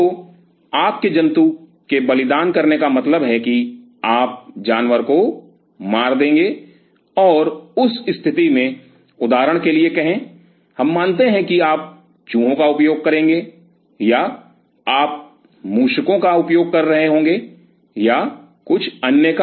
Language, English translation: Hindi, So, your sacrificing the animal means you to kill the animal and, in that case, say for example, we consider that you will be using mice or you will be using rats or something